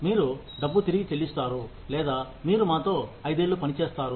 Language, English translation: Telugu, You pay the money back, or you work with us for five years